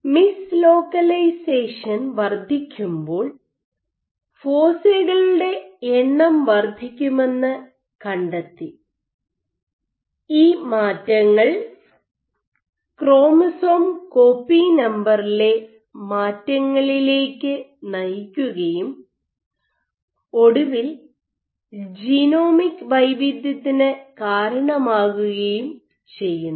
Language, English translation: Malayalam, So, more amount of mis localization then you would find that the number foci will increase, and these changes led to changes in chromosome copy number and eventually led to genomic heterogeneity